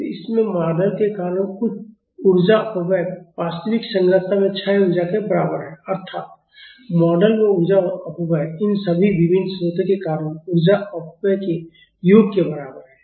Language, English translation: Hindi, So, in that the energy dissipation due to the model is equivalent to the energy dissipated in the actual structure; that is, the energy dissipation in the model is equivalent to the sum of the energy dissipations due to all these different sources